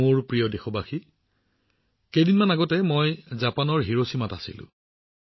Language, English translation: Assamese, My dear countrymen, just a few days ago I was in Hiroshima, Japan